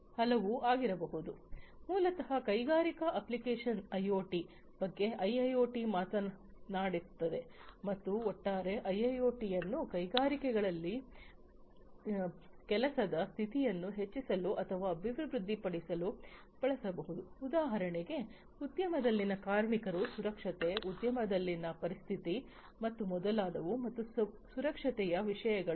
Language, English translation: Kannada, And so, basically IoT for industrial applications is what IIoT talks about and the overall idea is to use this IIoT for increasing or enhancing the working condition in the industries such as the safety, safety of the workers in the industry, the ergonomic conditions in the industry and so, on safety ergonomic issues and